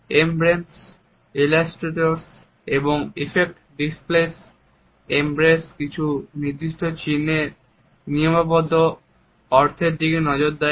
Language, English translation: Bengali, Emblems looks at the codified meanings of fixed symbols